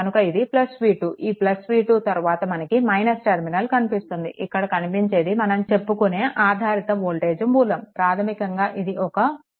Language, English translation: Telugu, So, it is plus v 2 plus v 2 right and then your it is encountering minus terminal, first, it is it is a it is a what you call it is a dependent voltage source, right, basically is a dependent voltage source